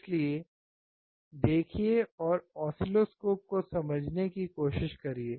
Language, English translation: Hindi, So, see guys try to understand oscilloscope, right